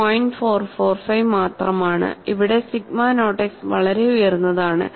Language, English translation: Malayalam, 445 where as sigma naught x is quite high